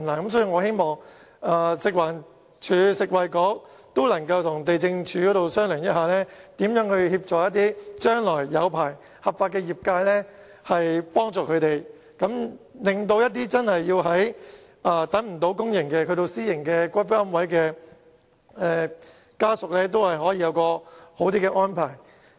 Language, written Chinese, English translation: Cantonese, 因此，我希望食物環境衞生署和食物及衞生局能夠與地政總署商討，如何協助將來獲發牌或合法經營的業界，令那些等不到公營龕位而要購買私營龕位的家屬會有較好的安排。, Therefore I hope that the Food and Environmental Hygiene Department FEHD and the Food and Health Bureau will liaise with the Lands Department to see what kind of support can be provided to licensed or legitimate operators with a view to providing better arrangements for descendants who do not wish to wait for allocation of public niche and want to buy private niches instead